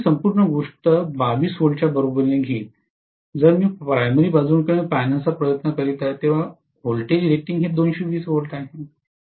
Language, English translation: Marathi, So I am going to have this entire thing equal to 22 V, if I am trying to look at it from the primary side, when V rated is 220 V, are you getting my point